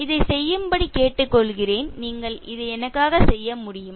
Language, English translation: Tamil, I request you to do this can you do this for me